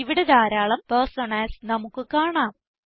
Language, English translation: Malayalam, We see a large number of personas here